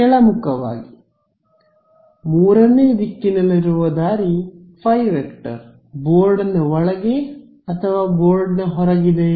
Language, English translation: Kannada, Downwards, which way is the third direction is phi, is into the board or out to the board